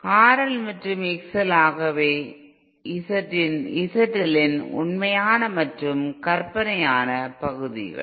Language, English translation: Tamil, X L and R L and X L are real and imaginary parts of Z L